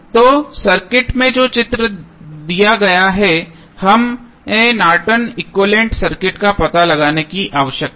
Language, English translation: Hindi, So, the circuit which is given in the figure we need to find out the Norton's equivalent of the circuit